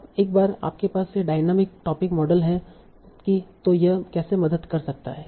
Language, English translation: Hindi, Now once you have this dynamic topic model how it can help